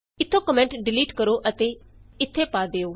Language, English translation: Punjabi, Delete the comment from here and put it here